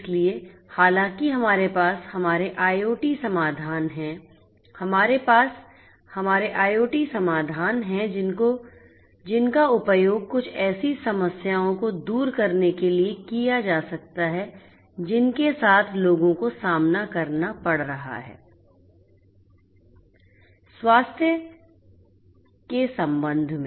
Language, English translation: Hindi, So, you know however, we have our IoT solutions, we have our IIoT solutions that could be used to alleviate some of the problems that are encountered by people with respect to health